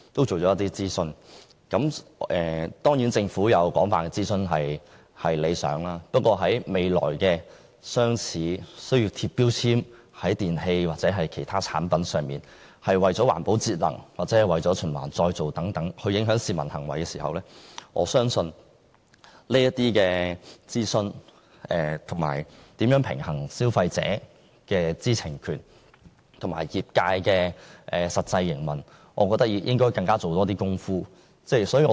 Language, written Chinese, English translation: Cantonese, 政府進行廣泛諮詢固然是好事，但未來如要在電器或其他產品上張貼標籤，從而影響市民在環保節能或循環再造等方面的行為，我認為政府須在諮詢中多做工夫，平衡消費者的知情權與業界的實際營運需要。, It is certainly good for the Government to conduct extensive consultations . However if the Government wishes to influence public behaviour in areas like energy saving or recycling by requiring labelling on electrical appliances or other products in the future I would say that it should step up its efforts in consultation so as to balance the right to know of consumers and the operation needs of the trade